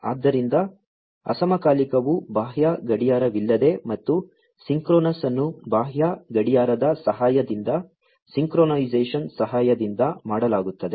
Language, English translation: Kannada, So, asynchronous is without external clock and synchronous is with the help of the synchronization is done, with the help of the external clock